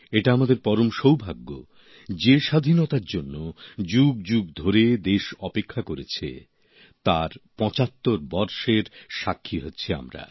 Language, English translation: Bengali, We are indeed very fortunate that we are witnessing 75 years of Freedom; a freedom that the country waited for, for centuries